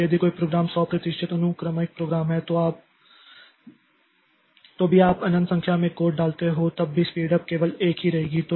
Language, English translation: Hindi, So, if a program is 100% sequential program, then even if you put, say, infinite number of course, the speed up will remain one only